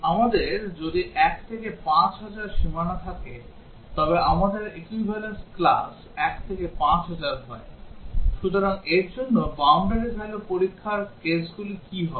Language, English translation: Bengali, If we have a boundary 1 to 5000, we have equivalence class 1 to 5000, so what would be the boundary value test cases for this